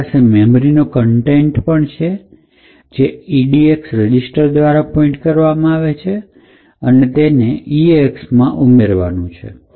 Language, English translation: Gujarati, We have the contents of the memory location pointing to by the edx register to be added into the eax register